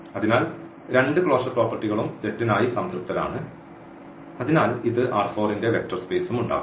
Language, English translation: Malayalam, So, the both the closure properties are satisfied for the set and hence this will also form a vector space of R 4